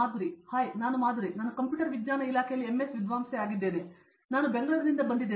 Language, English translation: Kannada, Hi I am Madhuri, I am a MS scholar in Computer Science Department, I am from Bangalore